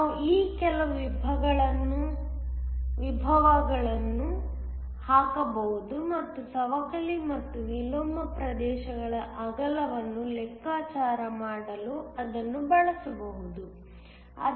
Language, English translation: Kannada, We can put in some of these potentials and use it to calculate the width of the depletion and the inversion regions